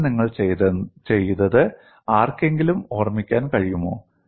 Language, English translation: Malayalam, Can anyone recall what you have done in the course